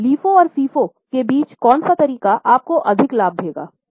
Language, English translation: Hindi, Now, between LIFO and FIPO, which method will give you more profit